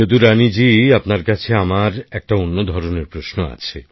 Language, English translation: Bengali, Jadurani ji, I have different type of question for you